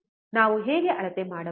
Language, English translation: Kannada, How can we measure